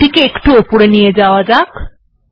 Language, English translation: Bengali, Let me just take it up a little bit